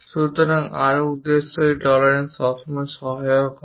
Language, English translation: Bengali, So, further purpose these tolerances are always be helpful